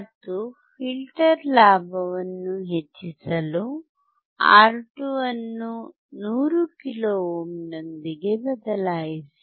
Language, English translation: Kannada, And to increase the gain of filter replace R2 with 100 kilo ohm